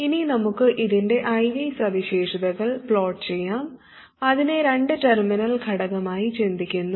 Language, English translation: Malayalam, Now let's just plot the IVE characteristic of this element, thinking of it as a two terminal element